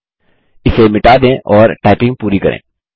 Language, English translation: Hindi, Lets delete it and complete the typing